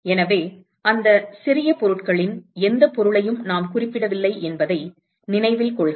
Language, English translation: Tamil, So, note that we have not specified any property of those small objects